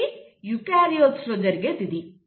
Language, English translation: Telugu, So this happens in case of eukaryotes